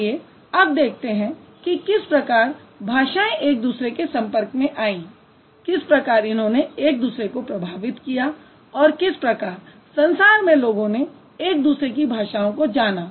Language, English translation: Hindi, And now let's look at it how the languages came into contact with each other, how they influenced each other and how the world came to know about each other's language